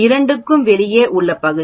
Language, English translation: Tamil, 5 because this area is 0